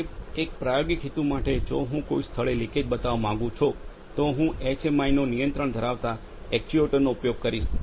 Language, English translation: Gujarati, Sir, for an experimental purpose if I want to create a leakage at a location I will be using the actuators where I have control from the HMI